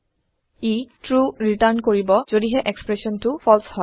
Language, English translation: Assamese, It will return true if the expression is false